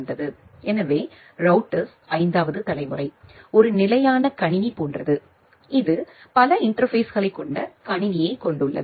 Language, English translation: Tamil, So, the 5 generation of the router, so are just like a standard computer which we have a computer with multiple interfaces